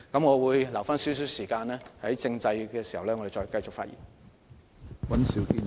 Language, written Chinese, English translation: Cantonese, 我會預留一些時間，留待在政制問題的辯論環節中繼續發言。, I will leave some time for myself to speak further in the debate session on constitutional affairs